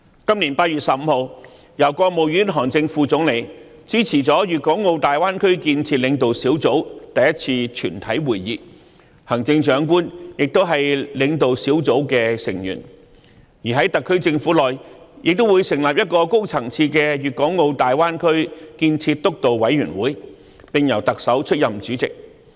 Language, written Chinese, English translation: Cantonese, 今年8月15日，國務院副總理韓正主持了粵港澳大灣區建設領導小組首次全體會議，行政長官亦是該領導小組的成員；而在特區政府內，亦會成立一個高層次的粵港澳大灣區建設督導委員會，並由特首出任主席。, On 15 August this year the first plenary meeting of the leading group for the development of the Greater Bay Area was convened by the Vice Premier of the State Council HAN Zheng . The Chief Executive is a member of the leading group . On the part of the SAR Government a high - level Steering Committee for the Development of the Greater Bay Area with the Chief Executive being the chairperson will be established